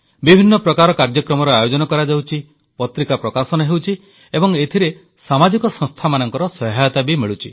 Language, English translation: Odia, Different kinds of programs are being held, magazines are being published, and social institutions are also assisting in this effort